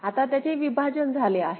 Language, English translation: Marathi, Now it has been split